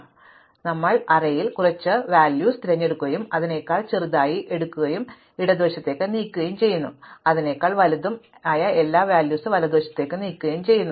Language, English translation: Malayalam, So, we just pick some value in the array and we take all those values smaller than that, move it to the left, all those which are bigger than that move it to the right